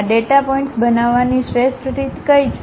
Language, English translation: Gujarati, What is the best way of constructing these data points